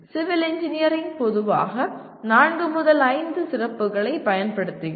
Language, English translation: Tamil, So as you can see civil engineering generally uses something like four to five specialties